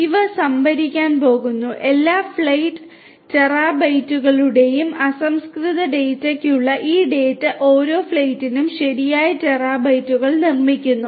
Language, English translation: Malayalam, These are going to be stored; these data for every flight terabytes of raw data are produced for every flight, right terabytes